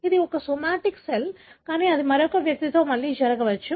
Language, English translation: Telugu, It is a somatic cell, but it could happen again in another individual